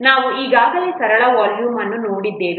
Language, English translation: Kannada, We have already seen simple volume